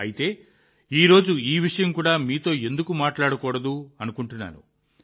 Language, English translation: Telugu, That's why I thought why not talk to you about him as well today